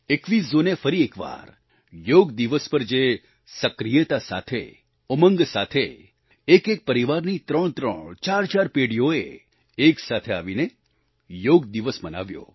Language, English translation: Gujarati, On 21st June, once again, Yoga Day was celebrated together with fervor and enthusiasm, there were instances of threefour generations of each family coming together to participate on Yoga Day